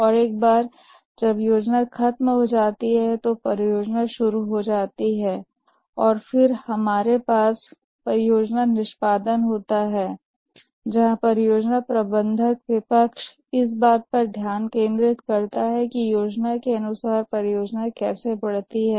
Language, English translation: Hindi, And once the plan is over, the project starts off and then we have the project execution where the project manager concentrates on how the project progresses as per the plan